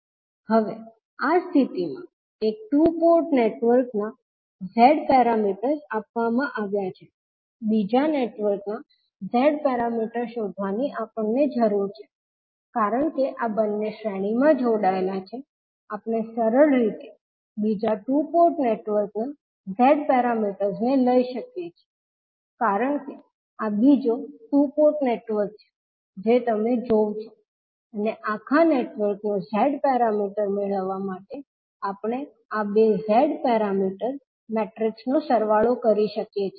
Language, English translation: Gujarati, Now, in this case the figure the Z parameters of one two port network is given, the Z parameter of second network we need to find out, since these two are connected in series we can simply take the Z parameters of the second two port network because this is the second two port network you will see and we can sum up these two Z parameter matrices to get the Z parameter of the overall network